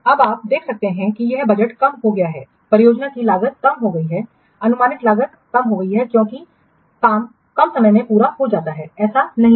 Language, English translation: Hindi, The project cost is reduced, project projected cost is reduced because work being completed in less time, isn't it